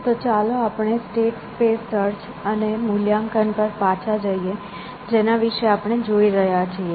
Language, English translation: Gujarati, So let us get back to state space search and valuation that we are looking at, we are call uninformed